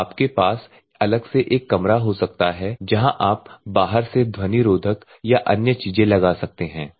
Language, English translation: Hindi, So, you can have a room separately where noise proof and other things you can do from the outside